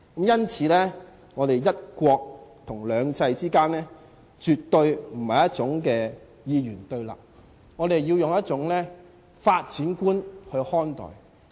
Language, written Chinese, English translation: Cantonese, 因此，"一國"和"兩制"之間絕對不是二元對立的，我們要以一種發展觀看待。, Hence one country and two systems are not totally antagonistic to each other . We should view it with a development mentality . The concept of one country two systems does not encourage us to build a wall around us